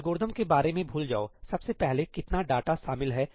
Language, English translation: Hindi, Forget about the algorithm, how much data is involved first of all